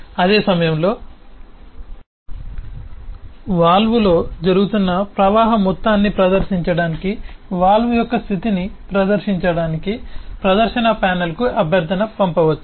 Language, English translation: Telugu, at the same time it could send request to the display panel to display the state of the valve, to display the amount of flow that is happening in the valve